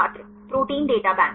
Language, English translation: Hindi, The Protein Data Bank